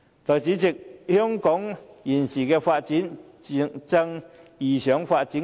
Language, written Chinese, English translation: Cantonese, 代理主席，香港現時正遇上發展瓶頸。, Deputy President Hong Kong now encounters a bottleneck in its development